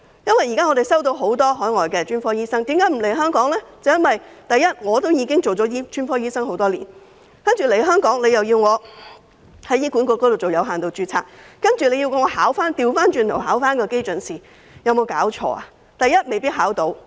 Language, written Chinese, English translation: Cantonese, 我們聽到很多海外專科醫生不願來港的原因，首先，他們已經當了專科醫生多年，來港後卻要在醫管局作有限度註冊，更倒過頭來要考基準試，有沒有搞錯？, As we have heard the reason why many overseas specialists are unwilling to come to Hong Kong is first of all they have already worked as specialists for years but after coming to Hong Kong they are required to work under limited registration in HA . What is worse they have to go backwards and sit for the basic licensing examination . How could this be?